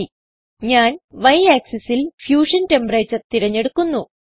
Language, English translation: Malayalam, Y: I will select Fusion temperature on Y axis